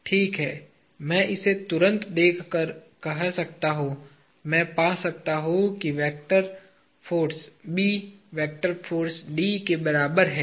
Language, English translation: Hindi, Well, I can say looking at this immediately; I can find that the vector the force B is equal to force D